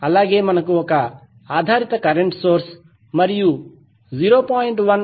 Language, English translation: Telugu, We also have the dependent current source and the 0